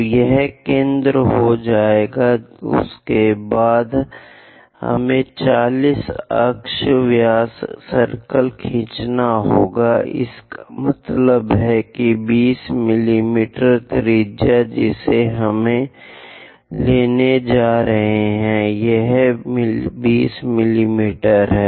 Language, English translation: Hindi, So, the center will be done, After that we have to draw 40 axis diameter circle, that means, 20 millimeters radius we are going to pick